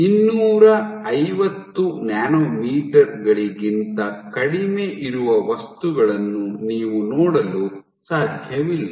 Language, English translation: Kannada, So, you cannot see it objects which are less than 250 nanometers